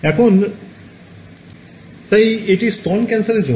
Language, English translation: Bengali, Now, so this is for breast cancer